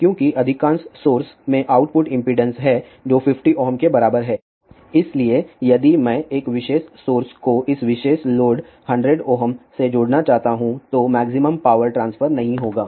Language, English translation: Hindi, Because majority of the sources have the output impedance which is equal to 50 ohm, so if I want to connect one particular source to this particular load 100 ohm then maximum power transfer will not take place